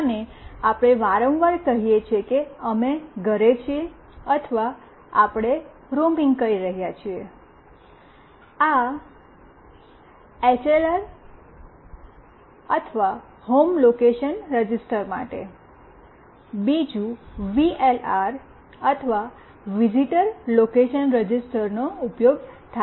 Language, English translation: Gujarati, And we often say that we are at home or we are roaming, for this HLR or Home Location Register, and another is VLR or Visitor Location Register are used